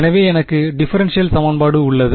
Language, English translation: Tamil, So, if I look at the homogeneous differential equation ok